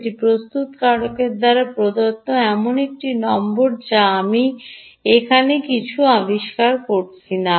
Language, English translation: Bengali, ok, this is a number given by the manufacturer, i am not inventing anything here